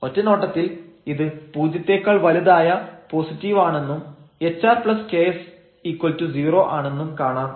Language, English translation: Malayalam, At a first glance, we will see that this ok, this is a positive greater than equal to 0 term hr plus ks is equal to 0